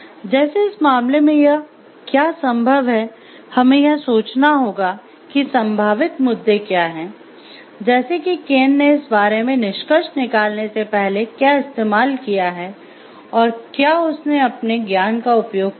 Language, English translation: Hindi, So, like, whether like it is possible to in this case, In this case we have to think like what are the possible points, like to what extent Ken have used this before we come to conclusion about this and has he used the knowledge